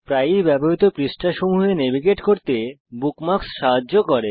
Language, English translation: Bengali, Bookmarks help you navigate to pages that you use often